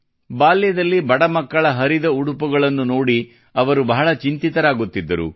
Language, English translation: Kannada, During his childhood, he often used to getperturbedon seeing the torn clothes of poor children